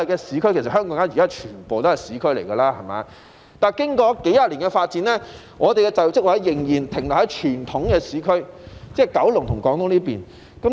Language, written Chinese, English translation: Cantonese, 雖然香港現時全部地區都可說是市區，但即使經過數十年的發展，本港的就業職位仍然停留在傳統的市區，即九龍和香港島。, This is why the residents often have to take up jobs in the urban area . Even though all the districts in Hong Kong may now be considered the urban area the availability of jobs in Hong Kong despite after decades of development still remain in the traditional urban area and that is Kowloon and Hong Kong Island